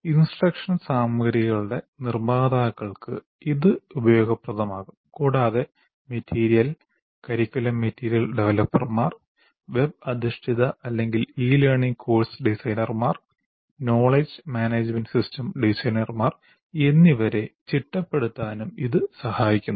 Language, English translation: Malayalam, Whereas it can also be useful for producers of instructional materials, how to organize that, curriculum material developers, web based or e learning course designers, knowledge management system designers